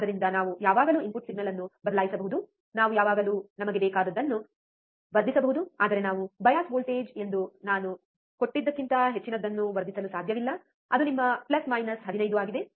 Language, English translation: Kannada, So, we can always change the input signal, we can always amplify whatever we want, but we cannot amplify more than what we I have given as the bias voltage, which is your plus minus 15